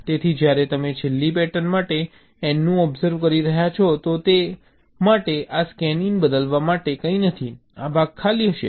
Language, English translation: Gujarati, so when you are observing the n for the last pattern, so for that, this scanin, there is nothing to shift in